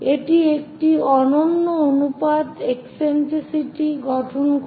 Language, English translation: Bengali, That forms a unique ratio eccentricity